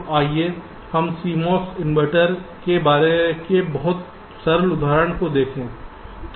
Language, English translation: Hindi, so let us look at very simple example of a c mos inverter